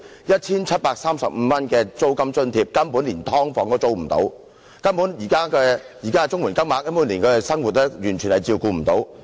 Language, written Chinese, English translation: Cantonese, 一千七百三十五元的租金津貼根本連"劏房"也無法租住，現時的綜援金額連他們的生活也完全無法照顧。, The rent allowance of 1,735 is not enough even for renting a sub - divided unit . The existing CSSA payments are totally unable to support their living